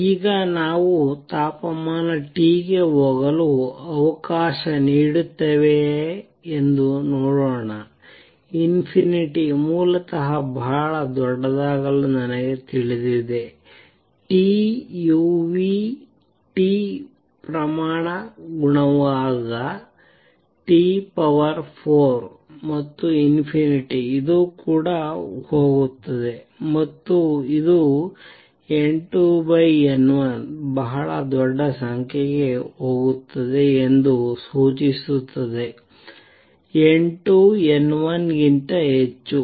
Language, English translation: Kannada, Now, let us see if we let temperature T go to infinity basically become very large then I know that u nu T is proportional T raise to four and this is also go to infinity and this would imply N 2 over N 1 will go to a very large number N 2 would be much much much greater than N 1